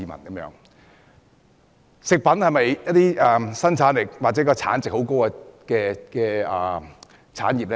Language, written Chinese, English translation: Cantonese, 漁農業是否生產力或產值很高的產業呢？, Is the agriculture and fisheries industry a high output or high value industry?